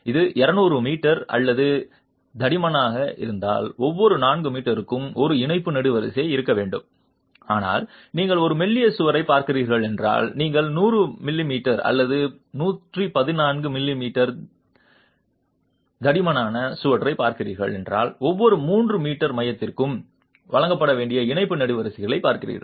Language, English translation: Tamil, If it's 200 m m or thicker, every four meters you should have a tie column, but if you are looking at a thinner wall, if you are looking at a 100 m m or 114 m m thick wall, then you are looking at tie columns that must be provided every 3 meters center to center